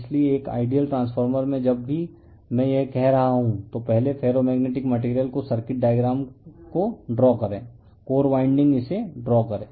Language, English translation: Hindi, So, in an ideal transformeRLoss of whenever I am telling this first you draw the circuit diagram in the beginning right the ferromagnetic material the core the winding first you draw it